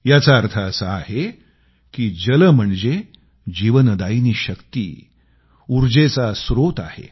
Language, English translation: Marathi, Meaning that it is water which is the life force and also, the source of energy